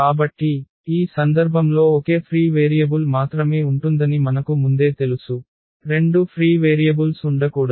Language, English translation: Telugu, So, we know in advance that there will be only one free variable in this case, there cannot be two free variables